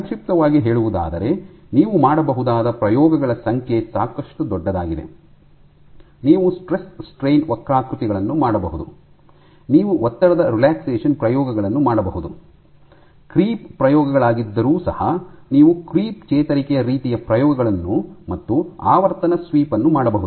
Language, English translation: Kannada, So, to summarize So, the number of experiments you can do is quite large, you can do stress strain curves, you can do stress relaxation experiments, even though creep experiments, you can do creep recovery kind of experiments, frequency sweep